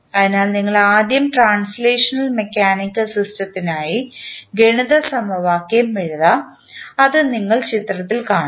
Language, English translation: Malayalam, So, let us first write the mathematical equation for the translational mechanical system, which you are seeing in the figure